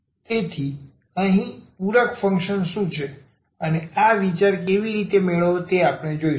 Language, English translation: Gujarati, So, here what is the complementary function and how to get this idea we will; we will give now